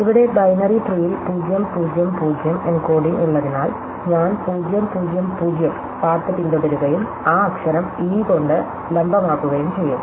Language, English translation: Malayalam, So, here is because e is has the encoding 0 0 0 in the binary tree, I will follow the path 0 0 0 and label that corresponding letter that vertex by e